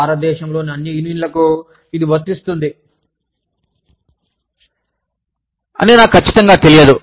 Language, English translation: Telugu, And, i am not sure, if this is applicable, to all unions, in India